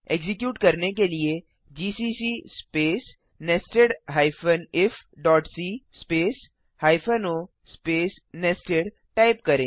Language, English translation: Hindi, To execute , Type gcc space nested if.c space hyphen o space nested